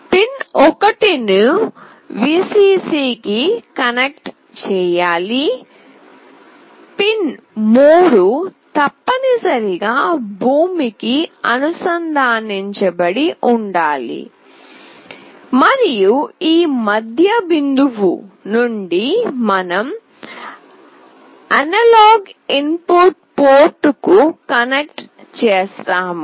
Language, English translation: Telugu, Pin 1 should be connected to Vcc, pin 3 must be connected to ground, and from this middle point, we connect to the analog input port